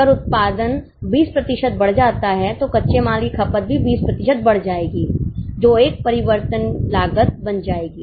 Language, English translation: Hindi, If output increases by 20%, raw material consumption will also increase by 20%